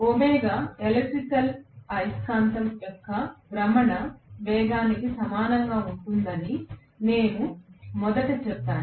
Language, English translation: Telugu, I said originally that omega electrical will be equal to the rotational speed of the field, magnetic field